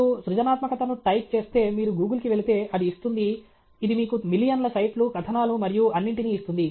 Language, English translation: Telugu, If you put creativity, you go to Google, it will give, it will return you millions of sites, articles, and all that